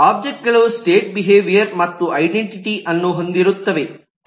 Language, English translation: Kannada, Objects will have state, behavior and identity